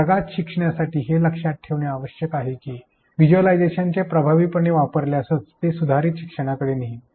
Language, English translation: Marathi, For using e learning in classroom it is essential to remember that visualization is going to lead to improved learning only if used effectively